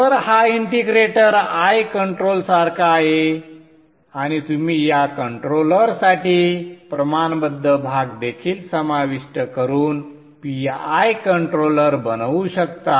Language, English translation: Marathi, So this integrator is like an eye control and you can also make a PI controller by also including a proportional part of the for this controller